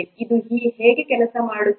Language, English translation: Kannada, How does it work